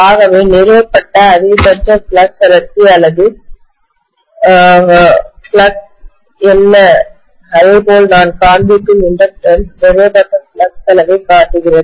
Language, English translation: Tamil, So what is the maximum amount of flux density or flux that has been established, the same way the inductance whatever I am showing, that is showing the amount of flux established